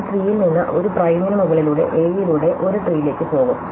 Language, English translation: Malayalam, So, I will go from the tree over a A prime to a tree over A by doings